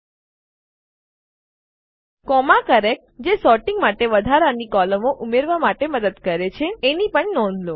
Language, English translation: Gujarati, Also notice the comma characters which help to add more columns for sorting